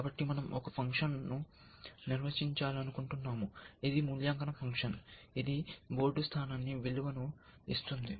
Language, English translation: Telugu, So, we want to define a function which is an evaluation function, which will give us a value for the board position